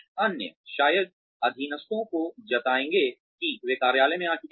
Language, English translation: Hindi, Others will probably, let the subordinates, know that, they have arrived in the office